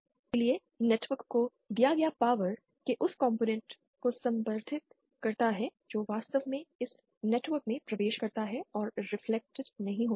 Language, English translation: Hindi, So, power delivered to the network refers to that, only that component of people power which actually enters this network and is not reflected